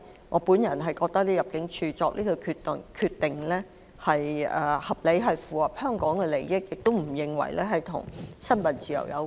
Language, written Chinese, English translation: Cantonese, 我認為入境處作出這項決定是合理之舉，符合香港利益，亦與新聞自由無關。, In my view it was reasonable and in the interests of Hong Kong for ImmD to make this decision which has nothing to do with freedom of the press